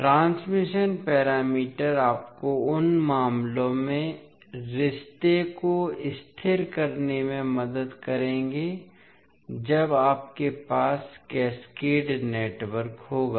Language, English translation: Hindi, So the transmission parameters will help you to stabilise the relationship in those cases when you have cascaded networks